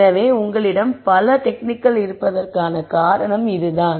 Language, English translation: Tamil, So, that is the reason why you have so many techniques